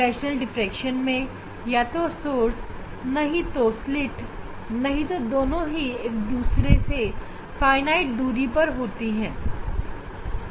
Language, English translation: Hindi, Fresnel s diffraction one of the source or the not one of the source or screen one of them will be at finite distance